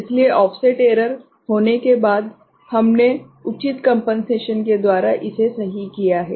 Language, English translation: Hindi, So, after offset error was there, so we have corrected by appropriate compensation right